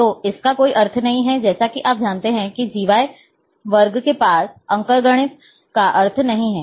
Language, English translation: Hindi, So, there is no meaning of that, like you know GY square has, doesn’t having arithmetic meaning